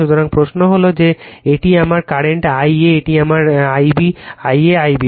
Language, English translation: Bengali, So, question is that , that this is my current I a this is I a I b